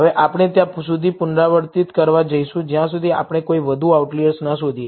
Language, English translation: Gujarati, Now, we are going to iterate, till we detect no more outliers